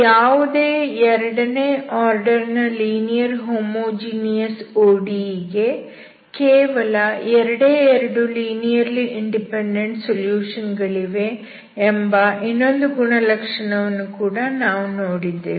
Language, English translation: Kannada, And we have also seen a property that the second order linear homogeneous ODE will have only two linearly independent solutions